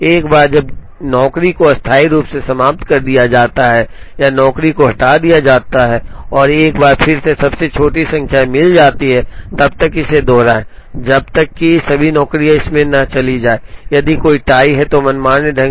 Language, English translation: Hindi, Once a job is entered into the table temporarily eliminate or remove the job and once again find the smallest number, repeat this till all jobs go into this, if there is a tie, can be broken arbitrarily